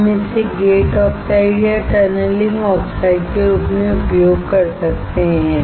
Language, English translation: Hindi, We can use this as a gate oxide or tunneling oxides